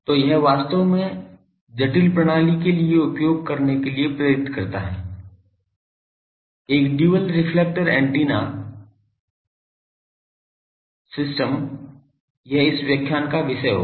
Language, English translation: Hindi, So, this actually motivates to use for the sophisticated system, a dual reflector antenna systems this will be the topic of this lecture